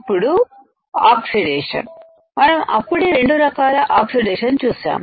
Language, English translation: Telugu, Now, in oxidation, we have already seen 2 types of oxidation